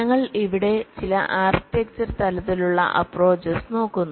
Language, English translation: Malayalam, so we look at some of the architecture level approaches here